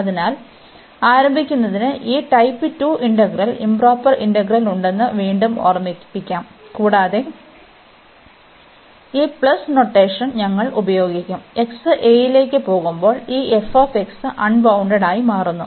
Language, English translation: Malayalam, So, to start with so we have again to remind we have this type 2 integrals the improper integral, and we will be using this notation which says that this a plus this notation means, this f x becomes unbounded, when x goes to a